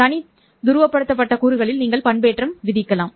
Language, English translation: Tamil, You can impose modulation on separate polarized components